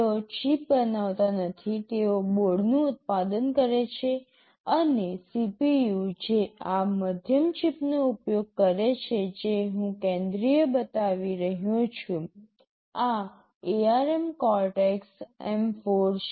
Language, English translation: Gujarati, They do not manufacture the chip, they manufacture the board, and the CPU that is use this middle chip that I am showing the central one, this is ARM Cortex M4